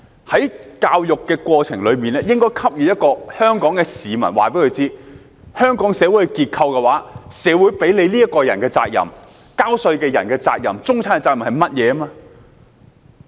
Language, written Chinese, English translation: Cantonese, 在教育的過程中，應該告訴香港市民，在香港的社會結構裏，社會賦予個人的責任、繳稅人的責任、中產的責任是甚麼。, Throughout their educational journey the people of Hong Kong should be advised what responsibilities fall on individuals taxpayers and the middle class within Hong Kongs social framework